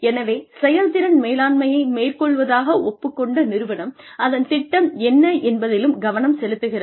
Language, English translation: Tamil, So, an organization, that is committed to performance management, will also look at, what it has planned